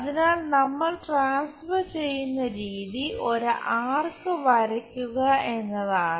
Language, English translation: Malayalam, So, the way we transfer is by drawing an arc